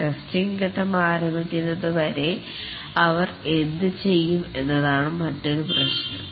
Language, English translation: Malayalam, And the other problem is that what do the testers do till the testing phase starts, what do they do